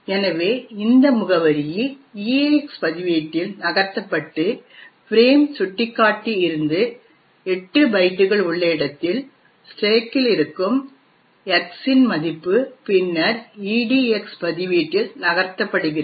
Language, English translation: Tamil, So, this address is then moved into the EAX register and the value of X present in the stack at a location 8 bytes from the frame pointer is then moved into the EDX register